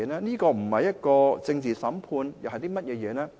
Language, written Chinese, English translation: Cantonese, 這不是政治審判，又是甚麼？, What is it if it is not a political trial?